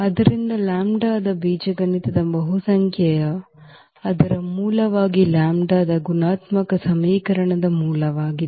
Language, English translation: Kannada, So, algebraic multiplicity of lambda as a root of the its a multiplicity of lambda as a root of the characteristic equation